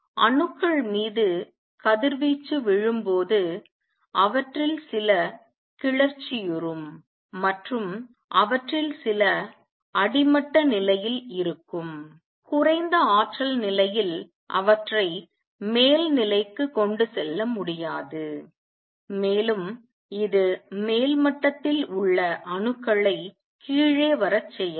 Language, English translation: Tamil, Radiation falling on atoms some of which are exited and some of which are in the ground state lower energy state can not only take them to the upper state it can also make the atoms in the upper state come down